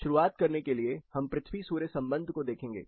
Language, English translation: Hindi, To start with, we will look at the Earth Sun relationship